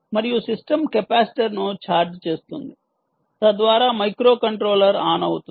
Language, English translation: Telugu, the system charges the capacitor in turn, switches on the microcontroller